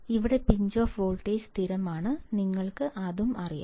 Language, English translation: Malayalam, Here Pinch off voltage is constant; we know it